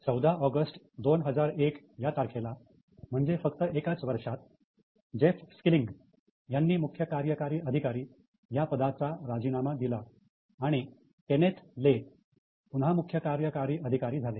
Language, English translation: Marathi, On August 14, 2001, see within just one year, this Jeff's killing resigned as a CEO and Kenneth Lay again became the CEO